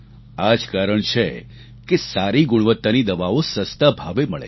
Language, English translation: Gujarati, That is why good quality medicines are made available at affordable prices